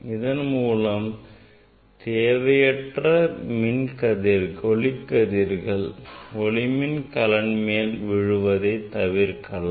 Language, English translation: Tamil, that unnecessary light will not fall on the photocell